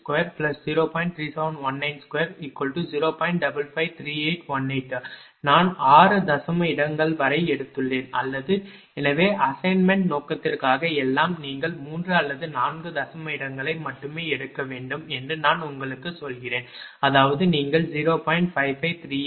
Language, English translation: Tamil, 553818, I suggest I have taken up to 6 decimal place or so, but for the assignment purpose everything, I will tell you that you should take only up to 3 or 4 decimal place I mean if you for 5538 you can make it approximation 0